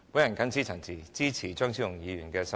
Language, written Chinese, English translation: Cantonese, 我謹此陳辭，支持張超雄議員的修正案。, With these remarks I support Dr Fernando CHEUNGs amendment